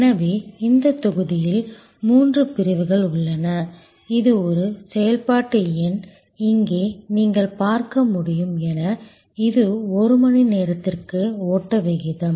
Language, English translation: Tamil, So, in this block there are three sections, the this one is the activity number, here as you can see here it is the flow rate per hour